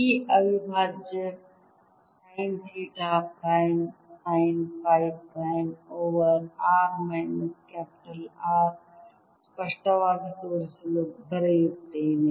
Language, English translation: Kannada, this integral sine theta prime, sine phi prime over r minus capital r